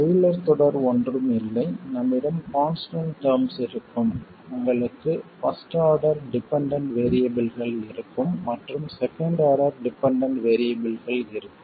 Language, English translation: Tamil, Taylor series is nothing but you will have a constant term, you will have first order dependence on the variables and second order dependence on the variables and so on